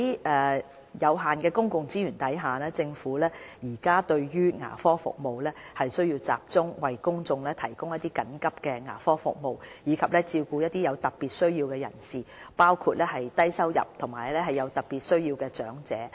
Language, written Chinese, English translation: Cantonese, 在有限的公共資源下，政府在提供牙科服務時，有需要集中為公眾提供緊急牙科服務，以及照顧一些有特別需要的人士，包括低收入及有特別需要的長者。, With limited public resources for the delivery of dental services the Government has to focus on providing emergency dental services for the public and taking care of people with special needs including low - income elders with special needs to receive dental care support services